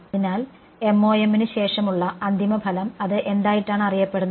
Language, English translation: Malayalam, So, end result after MoM, what is it that is known